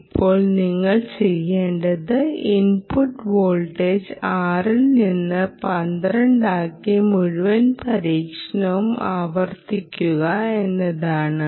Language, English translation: Malayalam, you go and change the input voltage from six to twelve and repeat the whole experiment